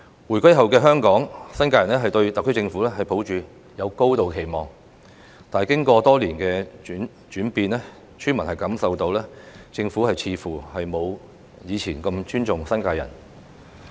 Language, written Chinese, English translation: Cantonese, 回歸後的香港，新界人對特區政府抱有高度期望，但經過多年的轉變，村民感受到政府似乎沒有以前那麼尊重新界人。, After the reunification New Territories people in Hong Kong have had high expectations for the SAR Government . But after years of twists and turns villagers have felt that the Government seems to show less respect to New Territories people